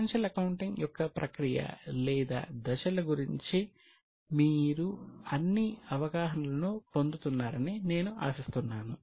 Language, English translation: Telugu, I hope you are getting overall understanding as to the process or the steps of financial accounting